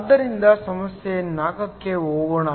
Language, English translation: Kannada, So, let me go to problem 4